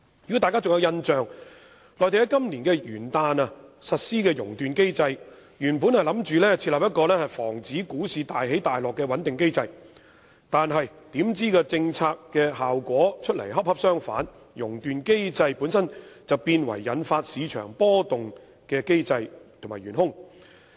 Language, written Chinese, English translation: Cantonese, 如果大家仍有印象，內地於今年元旦日實施"熔斷機制"，原意是設立一個防止股市大起大落的穩定機制，但出來的政策效果卻恰恰相反，"熔斷機制"本身變成引發市場波動的機制和元兇。, Members may still remember that the Mainland launched the circuit breaker mechanism on the Lunar New Years Day this year . It was intended as a stabilization mechanism for avoiding drastic stock market fluctuations . But this policy achieved the opposite result in the sense that the circuit breaker mechanism ended up as the very mechanism and culprit triggering market fluctuations